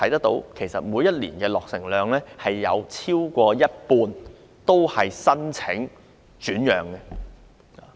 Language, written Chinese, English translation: Cantonese, 但是，每年落成的丁屋超過一半會申請轉讓。, However application for resale happens to more than half of the small houses built every year